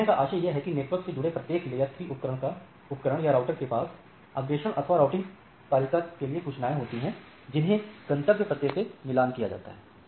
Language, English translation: Hindi, So, what we try to say that each router or layer 3 enabled devices which connect networks has some informations or forwarding or routing table which maps destination address